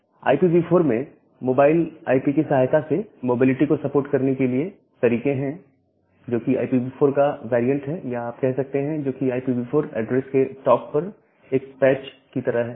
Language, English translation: Hindi, So, there are way to make mobility support in IPv4 with the help of mobile IP, that is the variant of IPv4 address or what you can say that it is like a patch on top of the IPv4 address